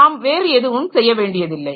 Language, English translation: Tamil, So, we don't have to do anything